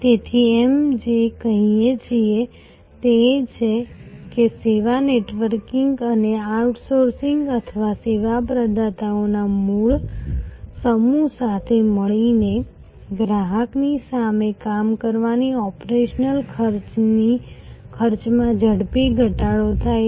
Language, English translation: Gujarati, So, what we are saying is that the service networking and outsourcing or constellation of service providers together working in front of the customer has lead to rapid reduction of operational costs